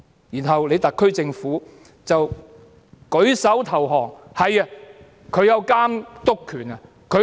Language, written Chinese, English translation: Cantonese, 然後特區政府舉手投降。, And then the SAR Government raises its arms in surrender